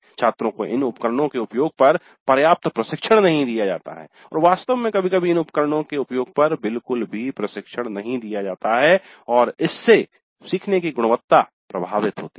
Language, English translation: Hindi, Students are not given adequate training on the use of these tools and in fact sometimes no training at all on the use of these tools and the learning quality suffers because of this